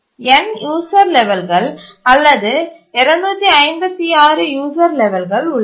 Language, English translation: Tamil, So there are N user levels, maybe to 56 user levels